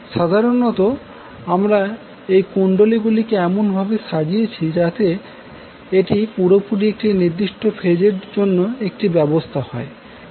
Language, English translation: Bengali, So, basically we arranged the coils in such a way that it completes 1 set of arrangement for 1 particular phase